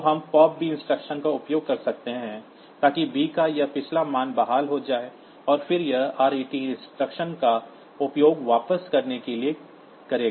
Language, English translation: Hindi, So, we use the pop b instruction, so that this previous value of b is restored and then it will use the ret instruction to return